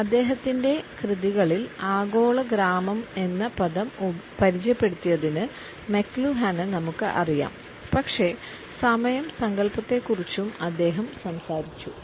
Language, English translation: Malayalam, We primarily know McLuhan for introducing us to the term global village in his works, but he has also talked about the concept of time